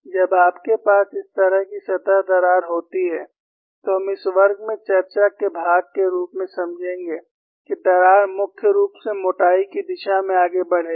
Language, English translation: Hindi, When you have a surface crack like this, we would understand, as part of the discussion in this class, that crack will primarily tend to move in the thickness direction